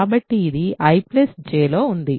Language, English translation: Telugu, So, this is in I this is in J